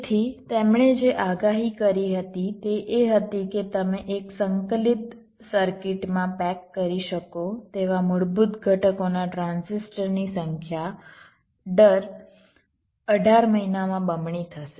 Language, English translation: Gujarati, so what you predicted was that, ah, the number of transistors, of the basic components that you can pack inside a single integrated circuit, would be doubling every eighteen months or so